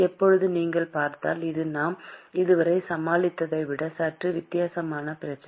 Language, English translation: Tamil, Now if you look at it, this is a slightly different problem than what we had dealt with so far